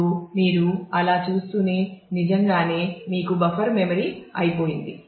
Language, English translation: Telugu, Now as you keep on doing that, naturally soon you will run out of the buffer memory